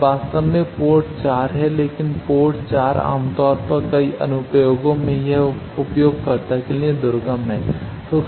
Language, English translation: Hindi, Now actually port 4 is there, but port 4 generally in many applications this is inaccessible to the user